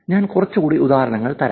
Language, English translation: Malayalam, Here is another example also